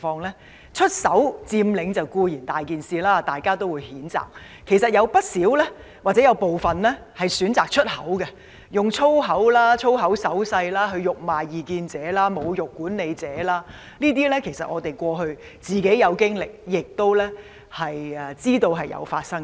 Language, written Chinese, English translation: Cantonese, 學生"出手"佔領固然問題嚴重，大家都會予以譴責；但部分學生其實會"出口"，例如以粗話及粗話手勢辱罵異見者和侮辱管理者，我們自己也遇過這類行為，亦知道曾經發生這種情況。, While it is seriously wrong and condemnatory for students to employ physical violence in occupy actions some students resorted to verbal violence such as smearing at people with opposing views and insulting management staff with abusive language and rude gestures . We ourselves had such experience and are aware that such incidents have really happened